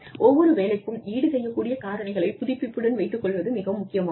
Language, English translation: Tamil, And, it is very important that, we keep updating the compensable factors, for each job